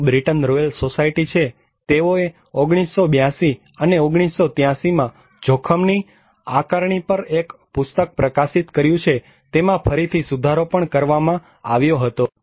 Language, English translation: Gujarati, there is a Britain Royal Society; they publish a White book on risk assessment in 1982 and in 1983, it was revised again